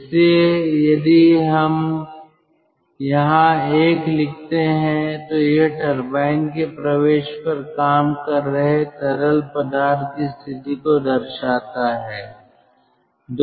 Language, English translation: Hindi, so if we put one over here, this denotes the state of the working fluid at the entry of the turbine